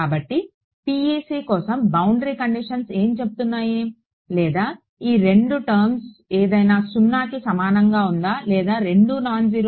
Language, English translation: Telugu, So, what are the boundary conditions what do boundary conditions for PEC say or any of these two guys zero or both are nonzero